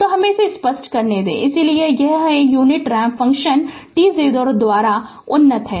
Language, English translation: Hindi, So, let me clear it, so this is your unit ramp function advanced by t 0